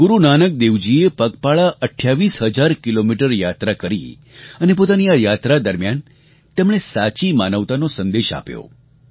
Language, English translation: Gujarati, Guru Nanak Dev ji undertook a 28 thousand kilometre journey on foot and throughout the journey spread the message of true humanity